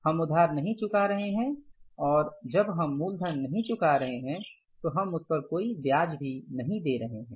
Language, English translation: Hindi, And when we are not repaying the principle, we are not paying any interest on that also